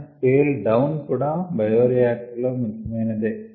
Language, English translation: Telugu, so scale down is also an important aspect in bioreactors